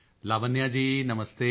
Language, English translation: Punjabi, Lavanya ji, Namastey